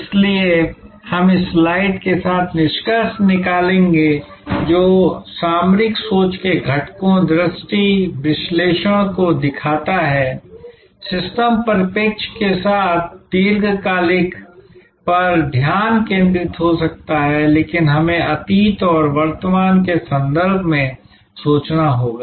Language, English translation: Hindi, So, we will conclude with this slide which shows the components of strategic thinking, the vision, the analysis, with the systems perspective there may be a focus on the long term, but we have to think in terms of the past and the present